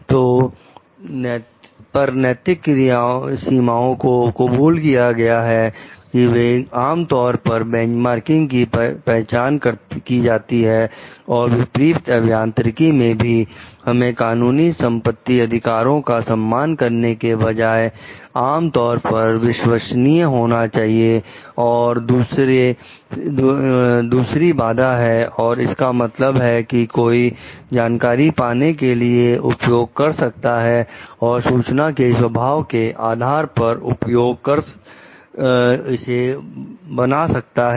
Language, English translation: Hindi, So, widely accepted ethical limits that are generally recognized in benchmarking and reverse engineering so, our rather than respecting legal property rights are commonly liked to be trustworthy and other constraints and the like, they means for one can use to obtain information and rather than on the nature of the information on the use that one makes of it